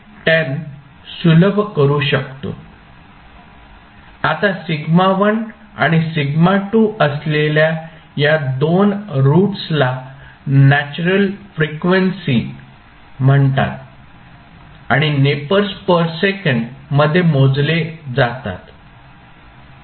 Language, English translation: Marathi, Now, these 2 roots that is sigma1 and sigma2 are called natural frequencies and are measured in nepers per second